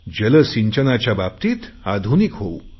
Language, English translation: Marathi, We should also modernise water irrigation